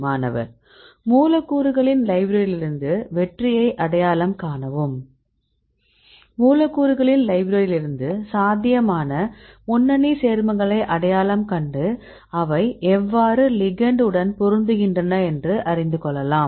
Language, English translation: Tamil, identify hit in library of molecules Right we have library of molecules right we identify the potential lead compounds right we will to say fit between the ligand as well as target